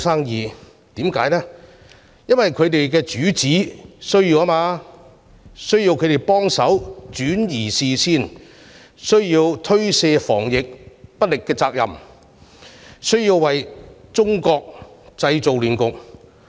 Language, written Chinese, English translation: Cantonese, 原因是他們的主子需要轉移視線，推卸防疫不力的責任，為中國製造亂局。, This is because their master wanted to divert public attention to shirk the responsibility for being incompetent in combating the epidemic and to create chaos in China